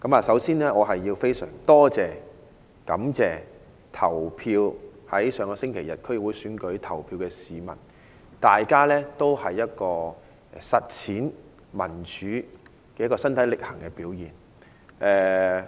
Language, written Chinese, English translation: Cantonese, 首先，我非常感謝在上周日區議會選舉投票的市民，這是實踐民主身體力行的表現。, First of all I am very grateful to the people who voted in the District Council DC Election last Sunday . This is a manifestation of taking action to practise democracy